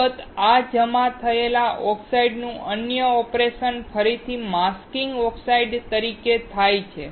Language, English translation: Gujarati, Of course, the other operation of this deposited oxide is again as masking oxides